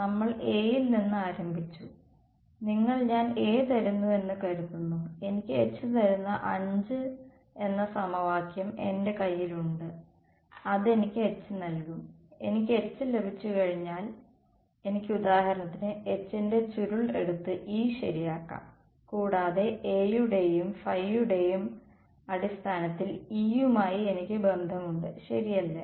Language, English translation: Malayalam, We started with A, from A I have supposing I give you A I have equation 5 which gives me H and once I get H I can for example, take curl of H and get E right and I also have a relation for E in terms of A and phi right